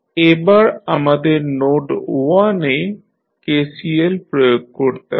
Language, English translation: Bengali, Now, let us apply the KCL at node 1